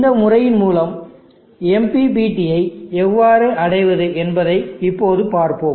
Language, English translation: Tamil, Let us now see how we go about achieving MPPT all through this method